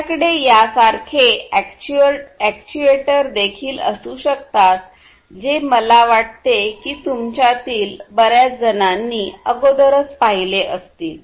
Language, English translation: Marathi, You could also have actuators like these which I think most of you have already seen right